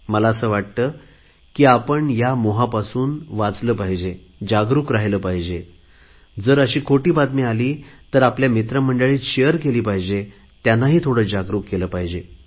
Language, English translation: Marathi, I believe that we must be aware against such lure, must remain cautious and if such false communications come to our notice, then we must share them with our friends and make them aware also